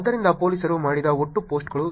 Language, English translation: Kannada, So, total posts that were done by a police